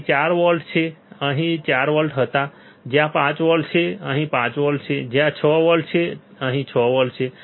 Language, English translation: Gujarati, So, 4 volts we had to 4 volts is here right, where is 5 volts 5 volts is here right where is 6 volts 6 volts is here right